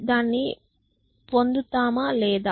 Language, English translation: Telugu, Will I get that or not